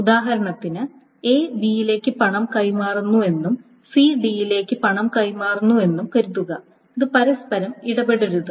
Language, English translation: Malayalam, So the example is that suppose A is transferring money to B and C is transferring money to D